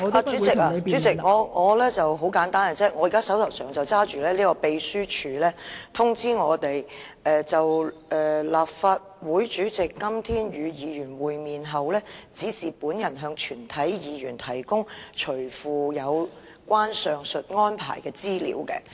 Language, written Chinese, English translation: Cantonese, 代理主席，很簡單，我現在手上有秘書處發給我們的通知，表示"就立法會主席今天與議員會面後，指示本人向全體議員提供隨附有關上述安排的資料"。, Deputy Chairman it is very simple . Now I have on hand a circular issued to us by the Secretariat which said to this effect After meeting with Members today the President of the Legislative Council has directed me to provide all Members with the attached information on the said arrangements